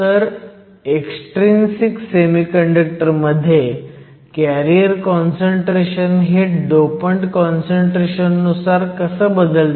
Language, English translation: Marathi, So, how does the carrier concentration in the case of extrinsic semiconductors change with dopant concentration